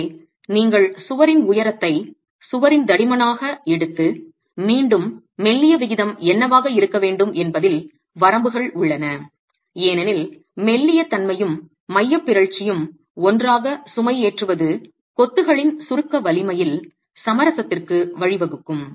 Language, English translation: Tamil, So, you take the height of the wall to the thickness of the wall and again there are limits on what should be the slenderness ratio because slenderness and eccentricity of loading together is going to lead to a compromise in the compression strength of the masonry